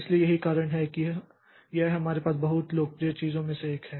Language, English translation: Hindi, So, that is why it is one of the very popular ones that we have